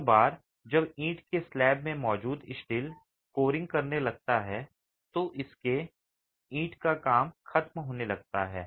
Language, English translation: Hindi, Once the steel that's present in the brick slab starts corroding, the brickwork starts spalling